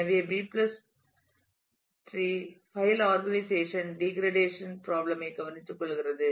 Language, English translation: Tamil, So, B + tree file organization is takes care of the degradation problem